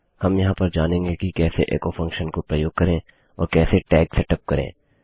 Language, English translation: Hindi, Ill just go through how to use the echo function and how to set up your tags